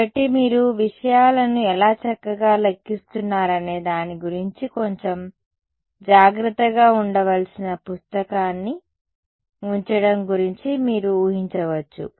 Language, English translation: Telugu, So, you can imagine there is some book keeping to be little bit careful about how you are numbering things fine